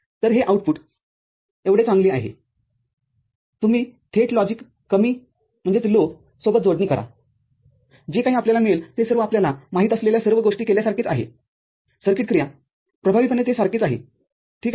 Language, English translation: Marathi, So, it is as good as the output Y, you directly connect to logic low whatever you get is the same as doing all the different you know, circuit operation effectively it remains the same, ok